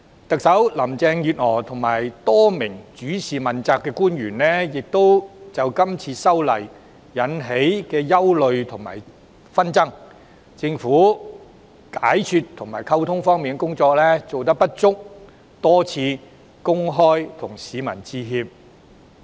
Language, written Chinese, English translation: Cantonese, 特首林鄭月娥及多名主事問責官員已為這次修例引起的憂慮和紛爭，以及政府解說和溝通工作的不足之處，多次向市民公開致歉。, Chief Executive Carrie LAM and several accountability officials responsible for the exercise have apologized to the public several times for the concerns and controversies caused by the legislative amendment as well as for the Governments inadequacies in the relevant explanation and communication work